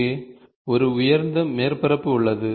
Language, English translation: Tamil, Here is a lofted surface